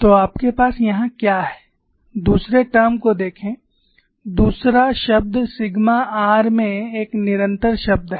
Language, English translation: Hindi, So, what we have here is, look at the second term the second term is a constant term in the sigma r also